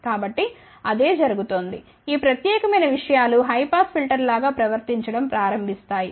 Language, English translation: Telugu, So, that is what is happening this particular things starts behaving like a high pass filter